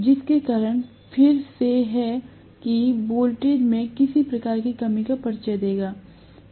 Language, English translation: Hindi, Because of which is again that introduces some kind of reduction into voltage